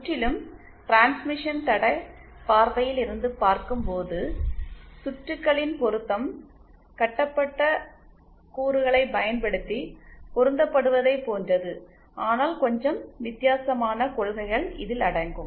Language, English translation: Tamil, When we look from a purely transmission line point of view, the matching of circuits is similar to the matching using lumped elements but a little different principles are involved